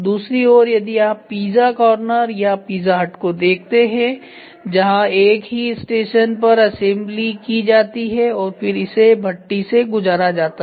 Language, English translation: Hindi, If you look at the other way round when you look at Pizza corner or Pizza hut where in which the assembly is all done at a single station and then it is passed through a furnace ok